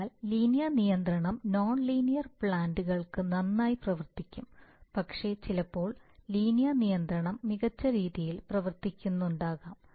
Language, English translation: Malayalam, So linear control can work very well for non linear plans but sometimes nonlinear control may be working better but 95% of industrial controllers are linear